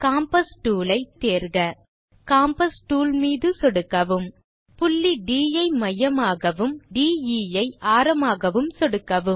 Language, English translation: Tamil, Lets select the compass tool from tool bar , click on the compass tool,click on the point D as centre and DE as radius